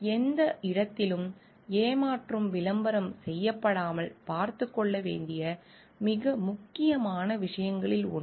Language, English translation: Tamil, One of the very important thing to take care off is that to ensure like nowhere at deceptive advertising is getting done